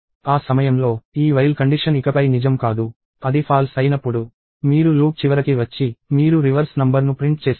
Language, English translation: Telugu, At that point, this while condition is not true anymore; when it becomes false, you come to the end of the loop and you print the reverse number